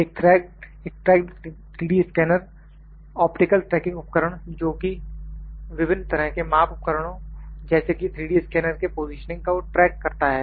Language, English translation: Hindi, A tracked 3D scanner has optical tracking devices can track various types of measurement tools including positioning of a 3D scanner